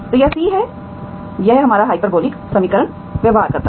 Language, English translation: Hindi, Okay that is C, that is our hyperbolic equation behaves